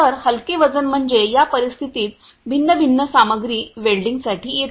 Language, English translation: Marathi, So, light weighting means that you know the situation comes for the different dissimilar material welding